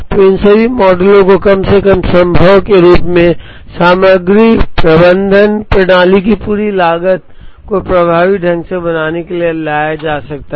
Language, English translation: Hindi, So, all these models can be brought in to make effectively the entire cost of the materials management system as less as possible